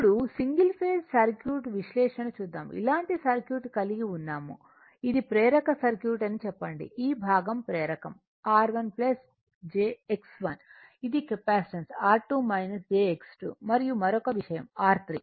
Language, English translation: Telugu, Now, single phase circuit analysis suppose, you have a circuit like this right you have a circuit like this say it is it is inductive circuit ah this part is inductive R 1 plus jX1 this is capacitive R 2 minus jX2 and another thing is that R 3